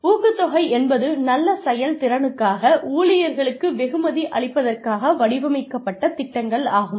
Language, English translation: Tamil, Pay incentives are programs, designed to reward employees for good performance